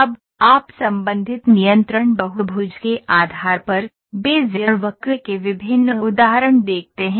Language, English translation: Hindi, Now, you see various examples of Bezier curve, depending on the associated control polygons